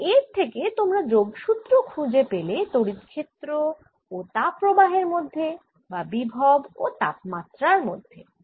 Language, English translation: Bengali, so this gives you a connection between electric field and the heat flow or the potential and the temperature